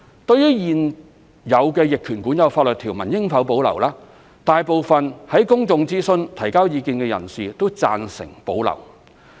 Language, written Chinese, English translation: Cantonese, 對於現有逆權管有法律條文應否保留，大部分在公眾諮詢提交意見的人士均贊成保留。, As to whether the existing laws of adverse possession should be retained most of those submitting their views in the public consultation agreed that the existing laws should be retained